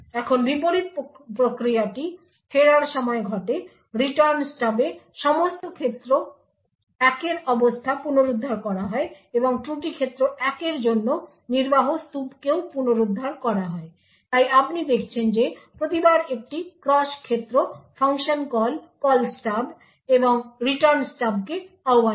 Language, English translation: Bengali, Now the reverse process occurs during the return, in the Return Stub the state of all domain 1 is restored and also the execution stack for fault domain 1 is restored, so you see that every time there is a cross domain function call invoked the Call Stub and the Return Stub would ensure that there would there is a proper transition from fault domain 1 to fault domain 2 and vice versa